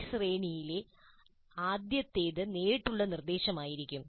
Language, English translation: Malayalam, So the first of this series would be the direct instruction